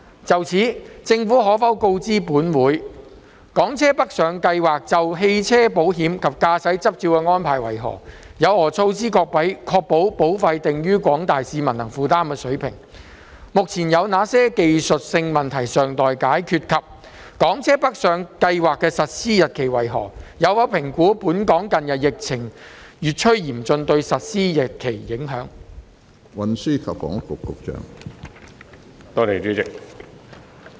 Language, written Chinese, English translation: Cantonese, 就此，政府可否告知本會：一港車北上計劃就汽車保險及駕駛執照的安排為何；有何措施確保保費定於廣大市民能負擔的水平；二目前有哪些技術性問題尚待解決；及三港車北上計劃的實施日期為何；有否評估本港近日疫情越趨嚴峻對實施日期的影響？, In this connection will the Government inform this Council 1 of the arrangements with regard to motor insurance and driving licences under the Scheme for Hong Kong cars travelling to Guangdong; what measures are in place to ensure that insurance premiums are to be set at levels that are affordable for the general public; 2 what technical issues are yet to be resolved at present; and 3 of the commencement date of the Scheme for Hong Kong cars travelling to Guangdong; whether it has assessed the impact on the commencement date brought about by the recent worsening of the epidemic situation in Hong Kong?